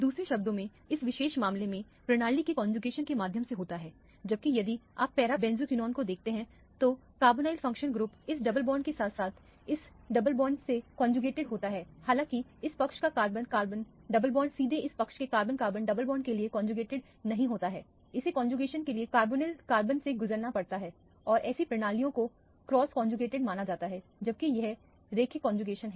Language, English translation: Hindi, In other words, there is a through conjugation of the system in this particular case, whereas if you look at the para benzoquinone, the carbonyl functional group is conjugated to this double bond as well as this double bond; however, the carbon carbon double bond of this side is not directly conjugated to the carbon carbon double bond on this side, it has to go through the carbonyl carbon for the conjugation to complete and such systems are considered to be cross conjugated whereas these are linearly conjugated